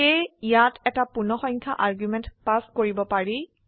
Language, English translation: Assamese, So here we can pass an integer arguments as well